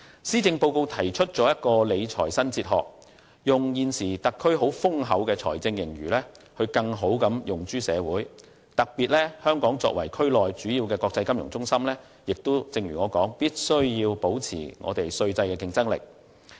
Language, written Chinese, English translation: Cantonese, 施政報告提出理財新哲學，把現時特區政府坐擁的豐厚財政盈餘更好地用諸社會，特別是香港作為區內主要的國際金融中心，必須如我剛才所說，保持稅制的競爭力。, The Policy Address proposes a new fiscal philosophy to better utilize the currently abundant fiscal surpluses of the SAR Government to benefit the community in particular as Hong Kong is a major international financial centre in the region it should as I said earlier on maintain the competitiveness of the tax regime